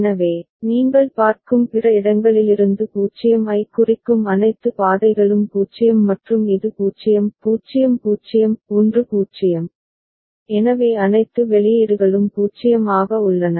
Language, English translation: Tamil, So, all the paths that are leading to state a from other places you see it is 0 and this is 0; 0 0; 1 0, so all the outputs are 0